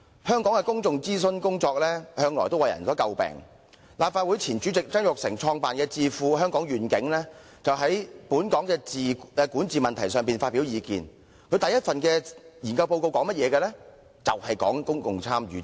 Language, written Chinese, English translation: Cantonese, 香港的公眾諮詢工作向來為人所詬病，由前任立法會主席曾鈺成創辦的智庫"香港願景"，專門就本港管治問題發表意見，其首份研究報告的內容正是公共參與及諮詢。, While public consultation exercise has been subject to criticisms the first research report published by Hong Kong Vision the think - tank initiated by former President of the Legislative Council Jasper TSANG to specifically express views on Hong Kongs governance is precisely related to public participation and consultation